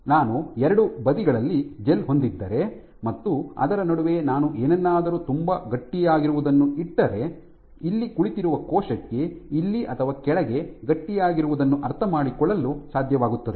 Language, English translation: Kannada, So, if I put something in between which is very stiff, the cell which is sitting here might be able to sense what is sitting here or down there